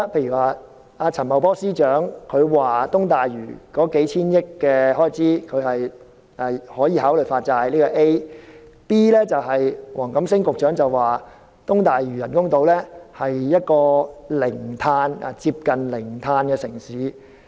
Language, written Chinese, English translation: Cantonese, 局長，陳茂波司長說東大嶼的數千億元開支可以考慮發債，這是 A；B 則是黃錦星局長說東大嶼人工島是一個接近零碳排放的城市。, Secretary Financial Secretary Paul CHAN said that consideration can be given to issuing bonds to meet the expenditure of hundreds of billions of dollars for East Lantau and this is A while B is Secretary WONG Kam - sings claim that the artificial islands in East Lantau will be a metropolis with near zero carbon emission